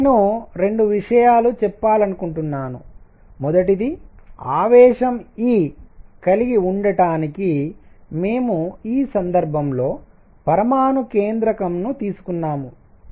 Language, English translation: Telugu, Now I just want to make 2 points; number 1; we took nucleus in this case to have charge e